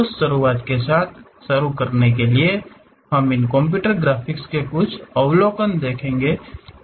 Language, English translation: Hindi, To begin with that first we will look at some overview on these computer graphics